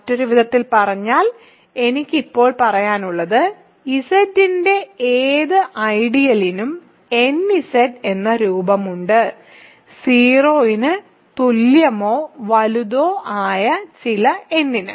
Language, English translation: Malayalam, So, in other words what I want now say is that, any ideal of Z has the form nZ for some n greater than or equal to 0